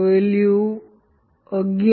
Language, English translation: Gujarati, This value is 11